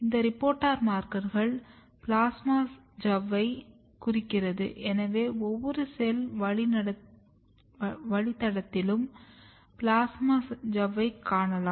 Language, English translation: Tamil, This reporter marker is marking the plasma membrane so, you can see every cell lines plasma membrane